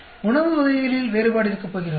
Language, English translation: Tamil, So, is there going to be difference in type of food